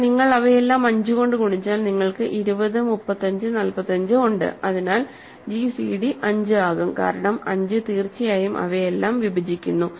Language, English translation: Malayalam, But if you multiply all of them by 5, so you have 20, 35, 45, so the gcd will become 5, because 5 certainly divides all of them